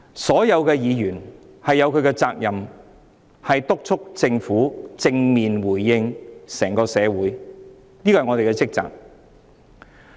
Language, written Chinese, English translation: Cantonese, 所有議員均有責任督促政府正面回應整個社會的訴求，這是我們的職責。, It is the responsibility of all Members to urge the Government to give a positive response to the demands of the entire society . This is our duty